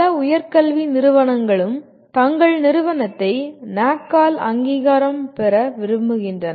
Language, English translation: Tamil, Many of the higher education institutions also want to have their institution accredited by NAAC